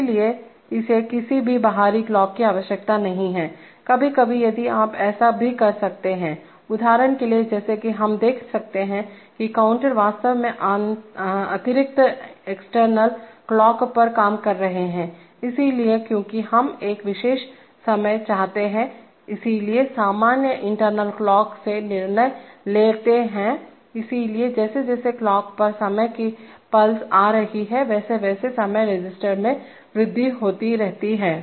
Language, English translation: Hindi, So it does not require any external clock, sometimes if you may, you may also, for example as we shall see that counters are actually work on the extra external clock, so because we want a particular timing, so the general decide from the internal clock, so as the timing pulses on the clock are coming, so the timing register keeps increasing